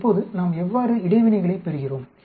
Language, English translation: Tamil, Now how do we get the interactions